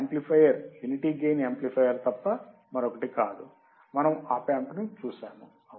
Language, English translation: Telugu, The amplifier is nothing but unity gain amplifier, we have seen the OP Amp right